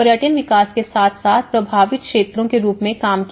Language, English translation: Hindi, As a part of their tourism development and as well as the affected areas